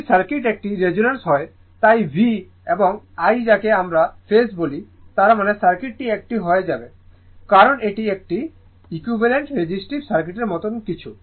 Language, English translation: Bengali, If circuit is a resonance so, in V and I inwhat you call in phase; that means, that circuit will become a as you it is a something like an equivalent your resist resistive circuit right